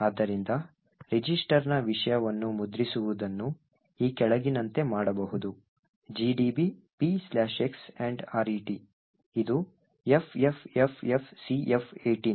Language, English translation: Kannada, So, printing the content of register can be done as follows P slash x ampersand RET which is FFFFCF18